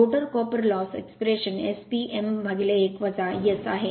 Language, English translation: Marathi, The rotor copper loss expression is S P m upon 1 minus S